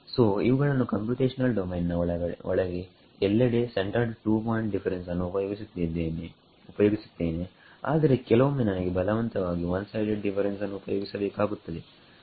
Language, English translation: Kannada, So, these inside the computational domain everywhere I use centered two point difference, but I am forced to use this one sided differences sometimes at the end of the computational domain because there is no point outside